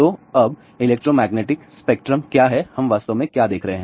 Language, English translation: Hindi, So, now, what is the electromagnetic spectrum; what are we really looking at